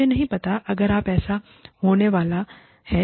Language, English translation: Hindi, I do not know, if it is going to happen